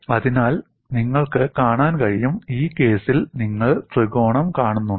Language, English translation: Malayalam, So, you could see, do you see the triangle at all in this case